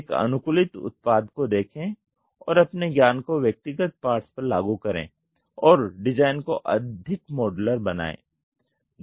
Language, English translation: Hindi, Look at a customized product and apply your knowledge on individual parts and make the design more modular